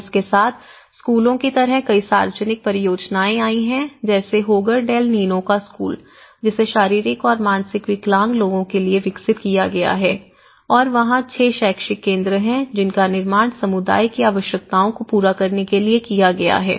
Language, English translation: Hindi, And with this, there has been various public projects like schools, like this one school of Hogar del Nino which has been developed on a house for people with physical and mental disabilities which has been constructed and there is 6 educational centres which has been constructed to cater the needs of the community